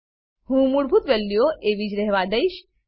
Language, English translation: Gujarati, I will leave the default values as they are